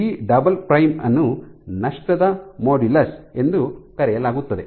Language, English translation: Kannada, So, G prime and G double prime is called the loss modulus